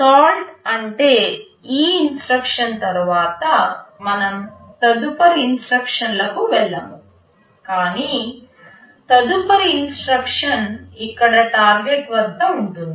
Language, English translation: Telugu, SoIt means after this instruction we shall not go to the next instruction, but rather next instruction will be here at Target